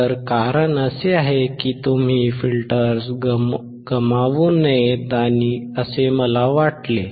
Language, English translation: Marathi, So, the reason is because I do not want you to miss out on the filters